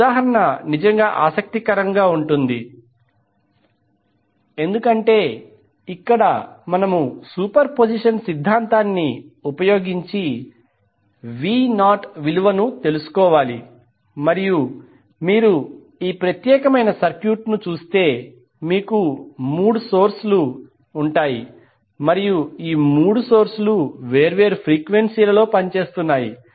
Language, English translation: Telugu, This example will be really interesting because here we need to find out the value of V naught using superposition theorem and if you see this particular circuit you will have three sources and all three are operating at a different frequency